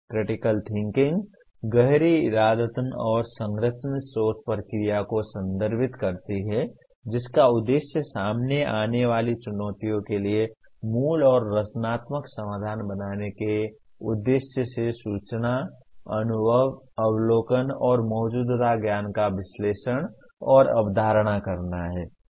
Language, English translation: Hindi, Critical thinking refers to the deep intentional and structured thinking process that is aimed at analyzing and conceptualizing information, experiences, observation, and existing knowledge for the purpose of creating original and creative solution for the challenges encountered